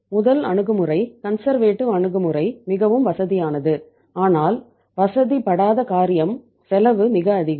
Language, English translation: Tamil, First approach, conservative approach is the most comfortable but the discomfort is cost is very high